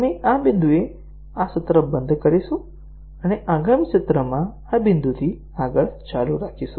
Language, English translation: Gujarati, So, we will stop this session at this point and continue from this point onwards in the next session